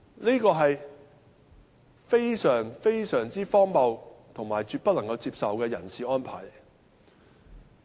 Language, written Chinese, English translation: Cantonese, 這是非常荒謬和絕不能接受的人事安排。, This is a rather ridiculous and absolutely unacceptable staffing arrangement